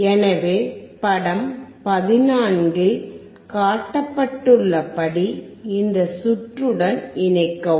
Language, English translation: Tamil, So, connect this circuit as shown in figure 14